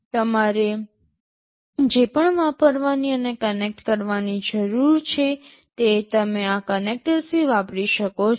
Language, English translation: Gujarati, Whatever you need to use and connect you can use from this connectors